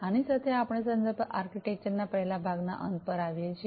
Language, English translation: Gujarati, So, with this we come to the end of the first part of the reference architecture